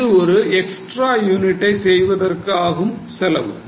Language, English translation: Tamil, This is the cost of making one extra unit